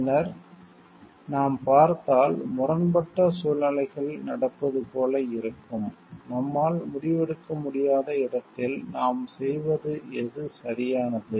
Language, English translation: Tamil, And then, if we see like if there are conflicting situations happening; where like we are not able to decide maybe which one is the correct thing for us to do